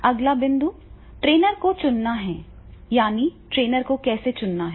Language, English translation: Hindi, Now the next point is the choosing the trainer, that is how to choose the trainer